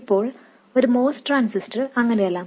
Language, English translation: Malayalam, Now a mouse transistor is not like that